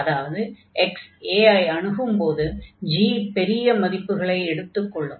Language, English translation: Tamil, So, it this seems that g is having larger values as x approaches to a